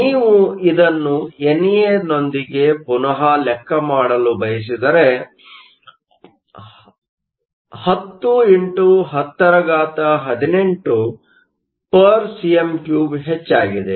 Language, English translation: Kannada, If you want to rework this with NA increased 10 x 1018 cm 3